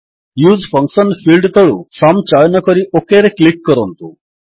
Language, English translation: Odia, Under the Use function field ,lets choose Sum and click OK